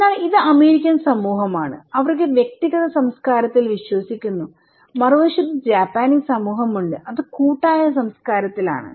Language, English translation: Malayalam, So, this is American society and they believe in individualistic culture, on the other hand, we have Japanese society which is more in collective culture